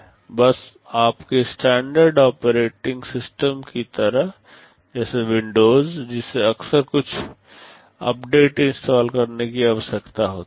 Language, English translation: Hindi, Just like your standard operating systems like windows that frequently needs some updates to be installed